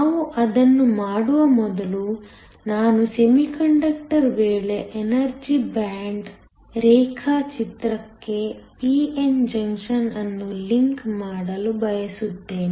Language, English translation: Kannada, Before we do that, I want to link the p n junction to the energy band diagram in the case of a semiconductor